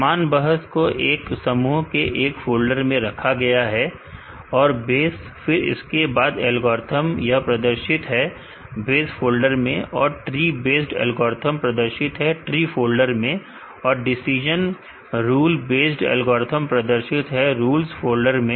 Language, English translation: Hindi, Similar arguments are grouped under single folder, for the base base to a algorithms are displayed in base folder and, tree based algorithms are displayed in trees folder and, decision rules based algorithms are displayed in rules folder